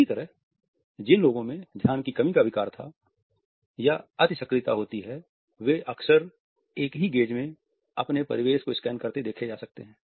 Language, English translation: Hindi, Similarly, people who have attention deficit disorder or hyperactivity are frequently observed to rapidly scan the environment in a single gaze